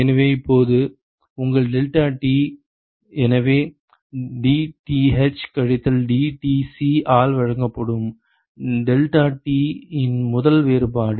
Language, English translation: Tamil, So, now your ddeltaT so, the first differential of deltaT that is given by dTh minus dTc